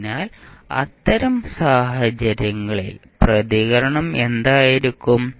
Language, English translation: Malayalam, So, in that case what will be the response